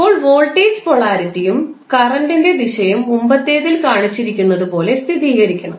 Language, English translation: Malayalam, Now, the voltage polarity and current direction should confirm to those shown in the previous figure